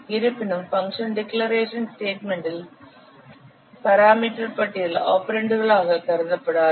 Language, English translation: Tamil, However, if the parameter list of a function in the function declaration statement is not considered an operands